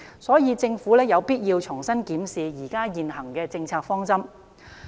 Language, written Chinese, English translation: Cantonese, 所以，政府有必要重新檢視現行的政策方針。, Therefore the Government should review afresh the existing policies and guidelines